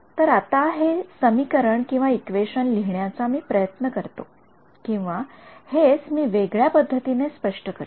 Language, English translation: Marathi, Now let me try to write this equation or interpret this in different way ok